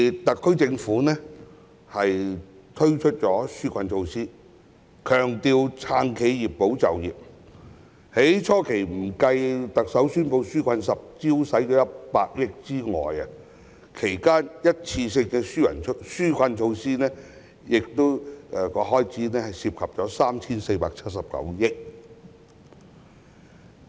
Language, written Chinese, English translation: Cantonese, 特區政府因而推出紓困措施，強調"撐企業、保就業"，不計特首初期宣布"紓困十招"的100億元，這段期間的一次性紓困措施開支涉及合共 3,479 億元。, The SAR Government has therefore introduced relief measures with an emphasis on supporting enterprises and safeguarding jobs . Excluding the 10 billion in the form of 10 livelihood initiatives announced by the Chief Executive earlier the one - off relief measures introduced during this period involved a total expenditure of 347.9 billion